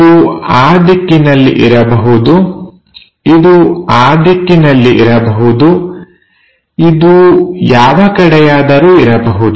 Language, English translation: Kannada, It can be in that direction, it can be in that direction, it can be in any direction